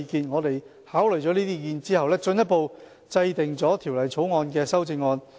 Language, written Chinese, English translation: Cantonese, 我們考慮了這些意見後，進一步制定了《條例草案》的修正案。, After taking on board their views we have proposed further amendments to the Bill